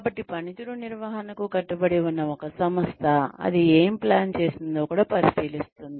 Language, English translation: Telugu, So, an organization, that is committed to performance management, will also look at, what it has planned